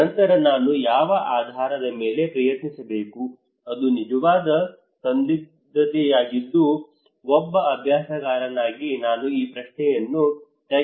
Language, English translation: Kannada, Then which one I should try on what basis that is a real dilemma being a practitioner I would like to ask this question to the expert